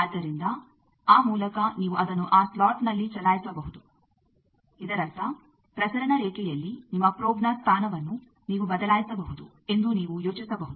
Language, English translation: Kannada, So, by that you can move it in that slot so; that means, you can think of these that on a transmission line you can vary your position of the probe